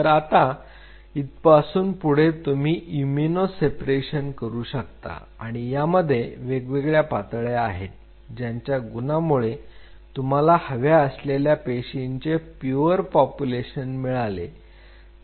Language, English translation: Marathi, Then from there you can do an immuno separation you see all these different steps by virtue of which you can get a very pure population of the cell of your choice